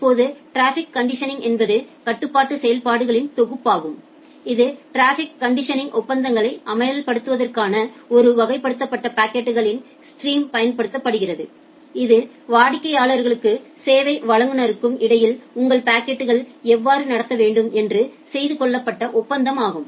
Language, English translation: Tamil, Now, the traffic conditioning it is a set of control functions, that is applied to a classified packets stream in order to enforce traffic conditioning agreements like, how your packet need to be treated which are made between the customers and the service provider